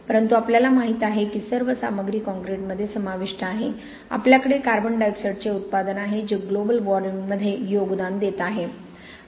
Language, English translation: Marathi, But we know that, you know, all materials concrete included, we have productions of CO2 which is contributing to global warming